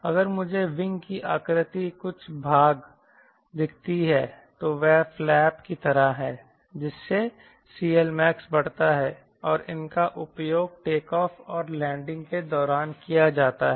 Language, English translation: Hindi, if i see the wing shape some part here, this is like flap, so that increases c l max and these are used to retake off a landing